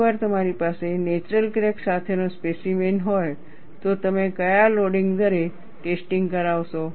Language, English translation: Gujarati, Once you have a specimen with a natural crack, at what loading rate would you conduct the test